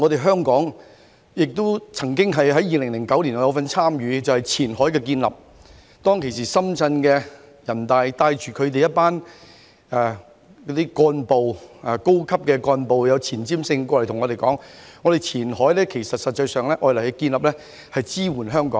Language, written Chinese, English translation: Cantonese, 香港曾於2009年參與建立前海，當時深圳的人大代表帶領當地一群高級幹部，以前瞻性的口吻向我們表示，前海的建立實際上是用以支援香港。, Hong Kong participated in the development of Qianhai in 2009 when a group of senior cadres led by Shenzhen deputies to the National Peoples Congress took a forward - looking attitude and indicated to us that Qianhai was actually developed to provide support to Hong Kong